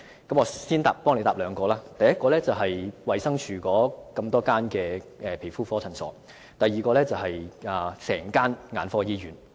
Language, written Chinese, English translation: Cantonese, 我姑且先代他回答兩個問題，第一個是衞生署轄下的所有皮膚科診所，第二個是整間眼科醫院。, First of all I may as well answer two questions on his behalf . The first is that all outpatient dermatology clinics of the Department of Health the second is the Hong Kong Eye Hospital